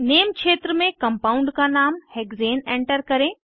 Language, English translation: Hindi, In the Name field, enter the name of the compound as Hexane